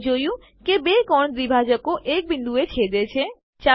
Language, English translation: Gujarati, We see that the two angle bisectors intersect at point